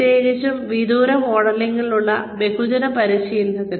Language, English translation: Malayalam, Especially, for mass training in distance mode